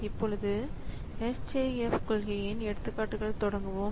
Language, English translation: Tamil, So, we start with an example of this SJF policy